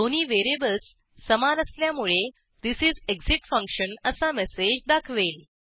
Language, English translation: Marathi, As the two variables are equal, it displays the message This is exit function Then it encounters exit 0